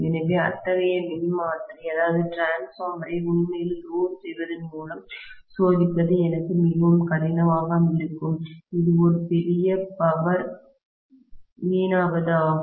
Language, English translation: Tamil, So, it is going to be really really difficult for me to test such a transformer by loading it actually and it will be a huge wastage of power